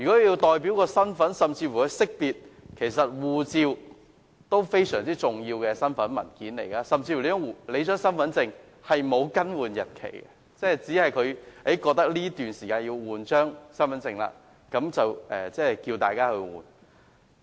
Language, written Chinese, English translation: Cantonese, 就識別身份的功能而言，護照其實是非常重要的身份證明文件，身份證甚至沒有更換日期，只是在政府認為有需要更換時才更換。, For identification purpose passports are indeed extremely important identification documents . No date for renewal has even been set in respect of Hong Kong identity cards which will be renewed only when deemed necessary by the Government